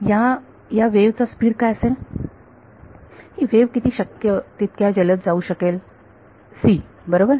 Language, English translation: Marathi, What is the speed at which this wave can go as fast as possible c right